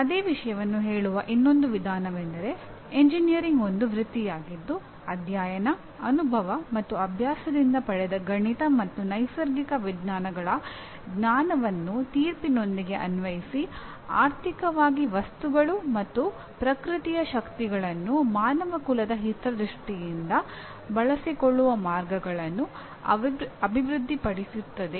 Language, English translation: Kannada, Engineering is a profession in which a knowledge of the mathematical and natural sciences gained by study, experience and practice is applied with judgment to develop ways to utilize economically the materials and forces of nature for the benefit of mankind